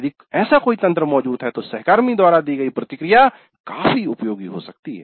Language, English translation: Hindi, If such a mechanism exists, then the feedback given by the peers can be quite useful